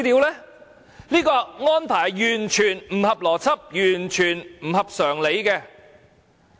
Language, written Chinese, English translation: Cantonese, 這安排是完全不合邏輯，完全不合常理。, This arrangement was absolutely illogical and totally unreasonable